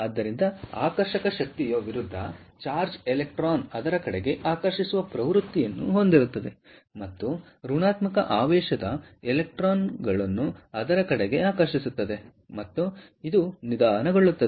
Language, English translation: Kannada, so therefore, the attractive force, it will trend to attract the opposite charged electrons, the negatively charged electrons, towards it, and this will also slow down